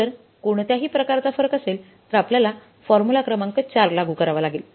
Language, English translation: Marathi, If there is any kind of the difference then we will have to apply the formula number 4